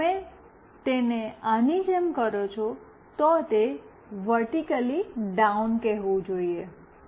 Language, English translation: Gujarati, If you make it like this, it should say vertically down